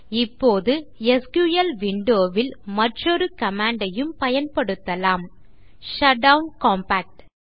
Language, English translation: Tamil, Now, we can also use another command in the SQL window SHUTDOWN COMPACT